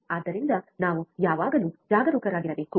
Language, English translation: Kannada, So, we should always be careful